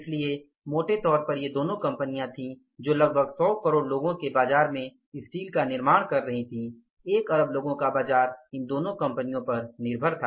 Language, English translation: Hindi, So largely largely these were the two companies who were manufacturing steel and the entire market of means 100 crore people, 1 billion people's market that was dependent upon the two companies